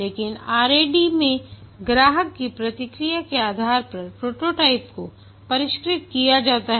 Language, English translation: Hindi, But in the RAD model the prototype is refined based on the customer feedback